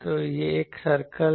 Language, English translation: Hindi, So, this is a circle